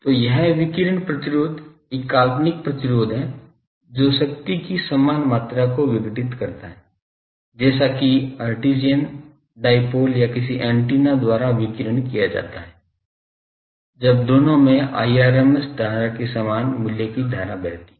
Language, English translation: Hindi, So, it is radiation resistance is a fictitious resistance that dissipates the same amount of power, as that radiated by the Hertzian dipole or any antenna, when both carry the same value of rms current